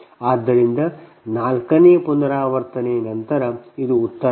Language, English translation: Kannada, so this is the answer after fourth iteration